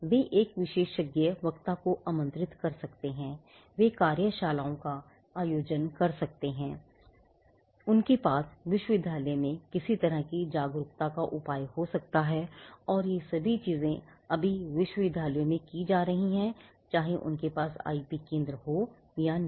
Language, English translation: Hindi, They may invite an expert speaker, they may conduct workshops; they may have some kind of an awareness measure done in the university and all these things are right now being done in universities whether they have an IP centre or not